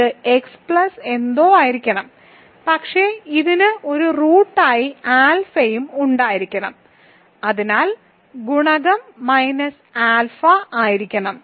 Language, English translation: Malayalam, So, it has to be x plus something, but it also has to have alpha as a root, so the coefficient must be minus alpha